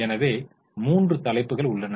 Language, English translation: Tamil, So, there are three headings